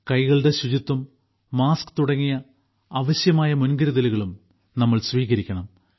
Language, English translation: Malayalam, We also have to take necessary precautions like hand hygiene and masks